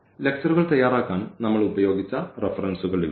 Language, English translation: Malayalam, So, here these are the references here we have used for preparing the lectures